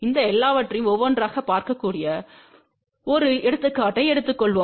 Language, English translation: Tamil, Let us take an example where we can look at all these things one by one